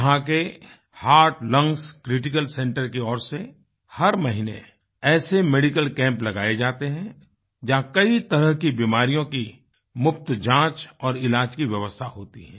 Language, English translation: Hindi, Every month, the Heart Lungs Critical Centre there organizes such camps, where free diagnosis and treatment for a host of ailments is done